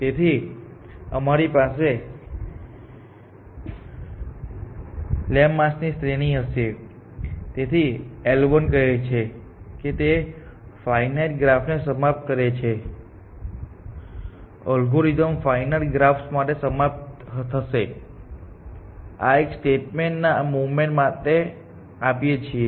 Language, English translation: Gujarati, So, we will have a series of lemmas, so L 1 simply says that it terminates for finite graphs; the algorithm will terminate for finite graphs; that is the only statement we want to assert at this movement